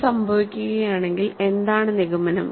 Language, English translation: Malayalam, So, if this happens what is the conclusion